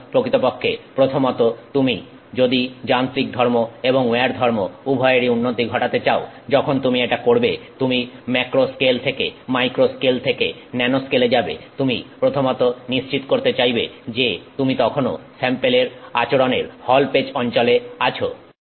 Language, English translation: Bengali, So, in fact, first of all, if you want to improve both mechanical and wear properties, when you do this, you know, as you go from a macro scale to micro scale to nanoscale you first of all want to make sure that you have you are still staying in the hallpage region of that behavior of that sample